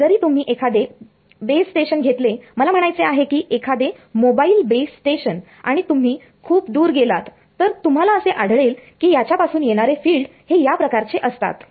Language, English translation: Marathi, Even if you take the base station I mean in the mobile base station and you go far away from you will find the fields coming from it are of this form